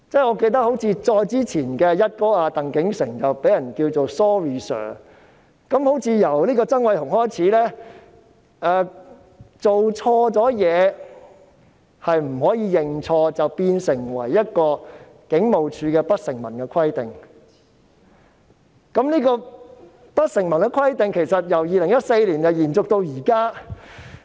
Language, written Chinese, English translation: Cantonese, 我記得他的前任"一哥"鄧竟成被人稱為 "Sorry Sir"—— 好像由曾偉雄開始，做錯事後不可以認錯，這變成了警務處的一項不成文規定，由2014年延續至今。, I remember that his predecessor TANG King - shing was called Sorry Sir―it seems that starting from Andy TSANG one cannot admit any mistake one has made . This has become an unwritten rule in HKPF and persisted since 2014